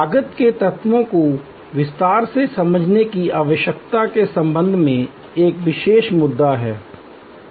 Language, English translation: Hindi, There is one particular issue with respect to how we need to understand the cost elements in detail